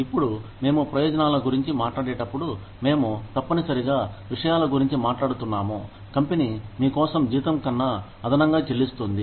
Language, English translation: Telugu, Now, when we talk about benefits, we are essentially talking about things, that the company does for you, in addition to your salary